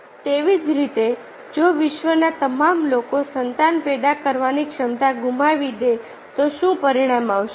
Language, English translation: Gujarati, similarly, what would be the results if all people in the world lost the ability to produce offspring